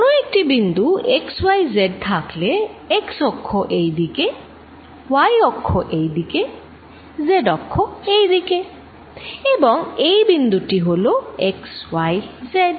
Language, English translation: Bengali, At some point x, y, z with x axis this way, y axis this way, z axis this way, and this is point x, y, z